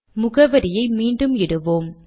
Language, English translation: Tamil, Let us put the address back